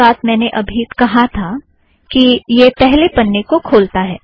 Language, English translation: Hindi, So thats what I mentioned here, it opens in the first page